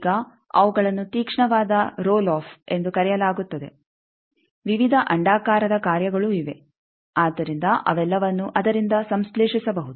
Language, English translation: Kannada, Now, those are called sharpest roll off various elliptical functions are there which can; so all that can be synthesized by that